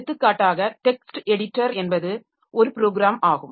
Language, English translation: Tamil, So, for example, text editor is a program by which we can create or modify text files